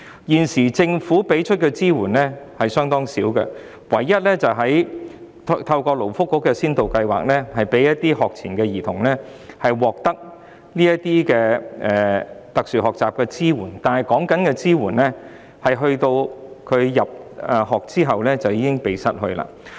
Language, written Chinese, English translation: Cantonese, 現時政府提供的支援相當少，唯一是透過勞工及福利局的先導計劃，讓一些學前兒童獲得特殊學習的支援，但有關支援只提供至他入學後便停止。, The support currently provided by the Government is quite limited . At present the only support is the pilot scheme launched by the Labour and Welfare Bureau for pre - primary children with special learning needs but the support will cease when they become primary students